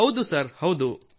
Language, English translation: Kannada, Yes… Yes Sir